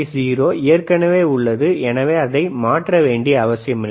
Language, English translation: Tamil, 0 is already, there is no need to change it, no worries,